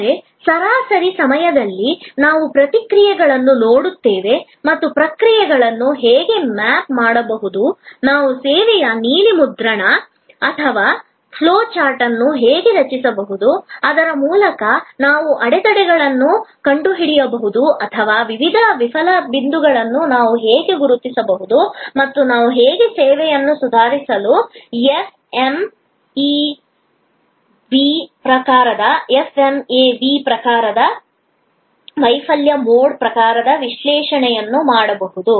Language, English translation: Kannada, But, in the mean time we have also looked at processes and how processes can be mapped, how we can create a service blue print or flow chart through which we can then find out the bottlenecks or we can identify the various fail points and how we can do an FMEA type of failure mode type of analysis to improve upon the service